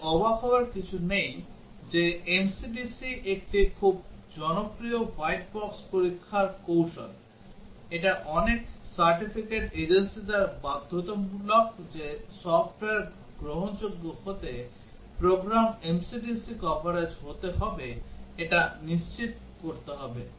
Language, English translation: Bengali, No wonder that MCDC is a very popular white box testing strategy; it is mandated by many certifying agencies that programs have to be MCDC coverage has to be ensured for the software to be acceptable